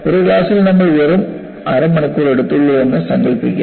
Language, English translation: Malayalam, Imagine we take just half an hour in a class